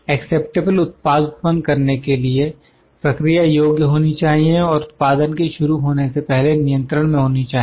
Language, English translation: Hindi, To produce an acceptable product, the process must be capable and in controlled before production begins